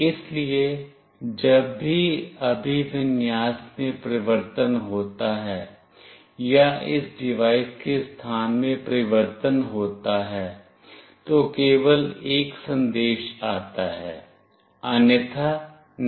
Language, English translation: Hindi, So, whenever there is a change in orientation or change in position of this device that is the orientation, then only there is a message coming up, otherwise no